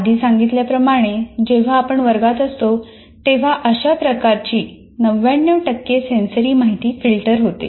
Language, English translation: Marathi, As I said, when you are inside the classroom, something like 99% of the kind of sensory information that comes keeps getting filtered